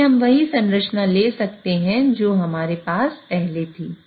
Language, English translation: Hindi, So, we can take the same structure which we had earlier